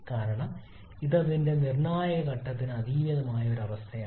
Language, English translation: Malayalam, Because it is a condition much beyond its critical point